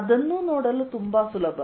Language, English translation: Kannada, that is also very easy to see